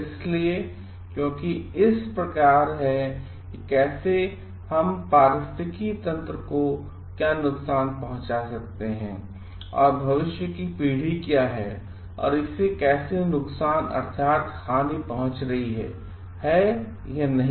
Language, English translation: Hindi, So, because it like how what is the harm provided to the ecosystem, and what is the future generation, how it is getting harmed or not